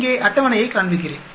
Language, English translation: Tamil, Let me show you the table here